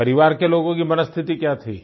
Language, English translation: Hindi, How were family members feeling